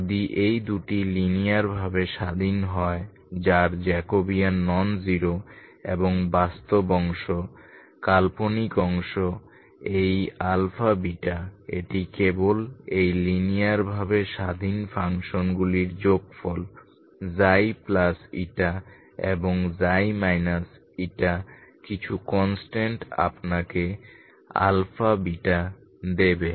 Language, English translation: Bengali, If these two are linearly independent whose Jacobian is non zero and real part imaginary part these alpha plus beta alpha beta this are simply sum of these linearly independent functions Xi plus eta and Xi minus eta with some constants will give you alpha beta